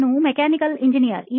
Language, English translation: Kannada, I am a mechanical engineer